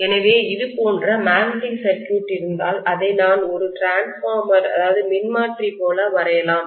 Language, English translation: Tamil, So if I am having a magnetic circuit somewhat like this, let me probably draw this like a transformer